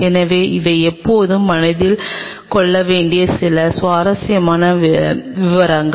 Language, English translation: Tamil, So, these are some of the interesting details which you always have to keep in mind